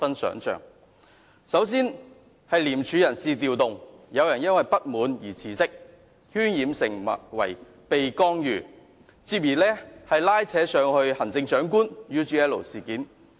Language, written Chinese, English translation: Cantonese, 首先，廉署有人事調動，有人因為不滿而辭職，事件被渲染成為受到干預，繼而拉扯上行政長官與 UGL 事件。, First of all some personnel reshuffles have to be made within ICAC as a staff member has resigned to express her dissatisfaction but the incident is played up to suggest that ICAC has been subject to intervention dragging the Chief Executive and the UGL incident into the mire